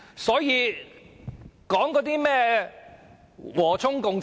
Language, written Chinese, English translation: Cantonese, 所以，說甚麼和衷共濟？, What is the point of being harmonious?